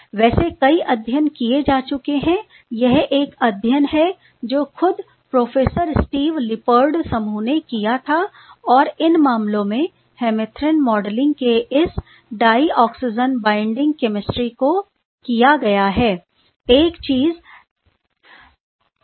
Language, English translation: Hindi, Well, a number of studies has been done this is one study by Professor Steve Lippard group himself and in these cases this dioxygen binding chemistry of hemerythrin modeling is done